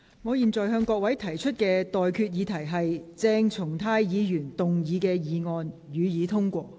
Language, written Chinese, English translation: Cantonese, 我現在向各位提出的待決議題是：鄭松泰議員動議的議案，予以通過。, I now put the question to you and that is That the motion moved by Dr CHENG Chung - tai be passed